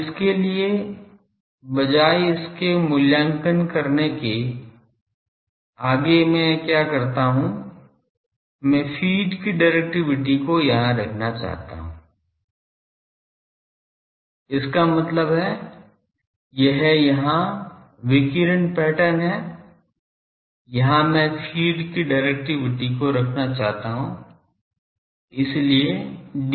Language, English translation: Hindi, Now, to that in instead of evaluating it further what I do, I want to put here the directivity of the feed; that means, this is radiation pattern here I want to put the directivity of the feed so, D f